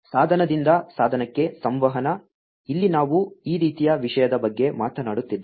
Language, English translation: Kannada, Device to device communication here we are talking about this kind of thing